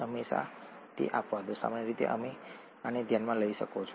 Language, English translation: Gujarati, There are always exceptions, usually you can consider this